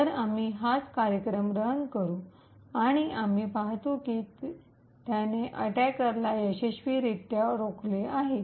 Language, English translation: Marathi, So, we would run the same program and we see that it has successfully prevented the attack